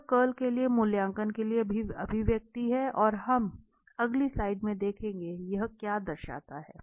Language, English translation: Hindi, So, this is the expression for evaluation of the curl and now, we will see in the next slide that what this signifies physically